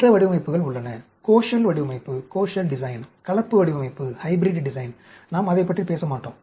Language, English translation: Tamil, There are other designs, Koshal design, Hybrid design; we will not talk about it